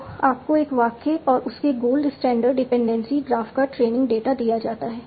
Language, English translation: Hindi, So you have given a trained data of a sentence and its goal standard dependency graph